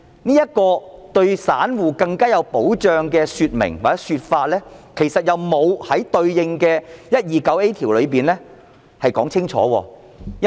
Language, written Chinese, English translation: Cantonese, 然而，對於散戶更有保障的說明或說法，卻並沒有在對應的第 129A 條中清楚說明。, However more protection or safeguard for ordinary retail investors was not mentioned in the proposed section 129A